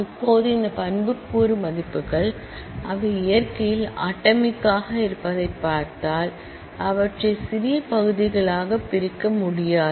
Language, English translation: Tamil, Now, these attribute values if you look at they are atomic in nature that is you cannot divide them into smaller parts